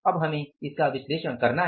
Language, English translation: Hindi, Now we have to analyze it